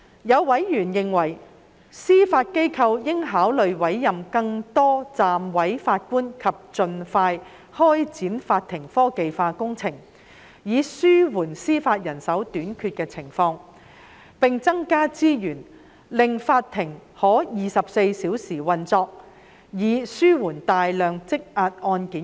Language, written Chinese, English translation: Cantonese, 有委員認為司法機構應考慮委任更多暫委法官及盡快展開法庭科技化工程，以應對司法人手短缺；並增加資源，令法庭可24小時運作，以處理大量積壓的案件。, Some Members opined that in order to relieve the shortage in judicial manpower the Judiciary should consider appointing more Deputy Judges and expediting its adoption of technology in courts . There was also a suggestion to allocate additional resources to the Judiciary so that the courts might operate on a round - the - clock basis to deal with the large backlog of cases